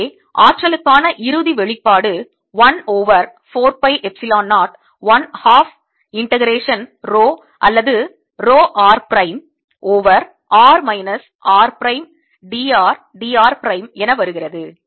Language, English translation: Tamil, so if final expression for the energy than comes out to be one over four pi epsilon zero, one half integration row are row r prime over r minus r prime, d r d r prime